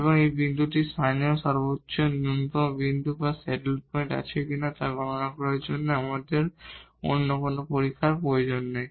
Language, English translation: Bengali, And therefore, we do not need any other test to compute whether this point is a point of a local maximum minimum or a saddle point